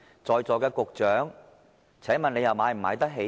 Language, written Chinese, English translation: Cantonese, 在座的局長，請問你們買得起嗎？, Secretaries who are present in this Chamber can you afford to buy that?